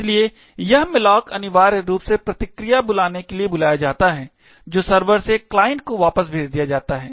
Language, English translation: Hindi, So, this malloc is called to essentially create the response which is sent back from the server to the client